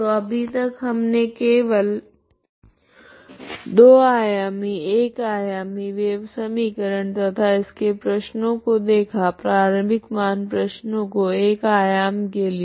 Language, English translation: Hindi, So in the next video we will so far we have seen only 2 dimensional 1 dimensional wave equation and its problems, okay initial boundary value problems for the 1 dimensional wave equation, okay